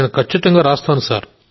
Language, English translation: Telugu, Yes, I certainly will do